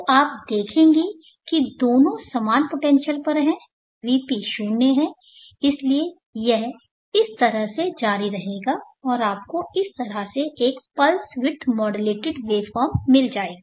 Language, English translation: Hindi, So you will see that both are at same potential VP is zero, so like that it continues and you will get a pulse width modulated waveform like this